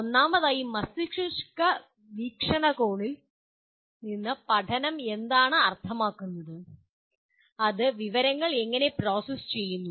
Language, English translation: Malayalam, First of all, what does learning mean from a brain perspective and how does it process the information